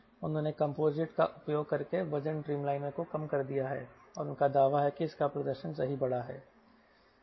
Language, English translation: Hindi, they have reduced the weight dreamliner by using composites, and they claim that its performance as enhanced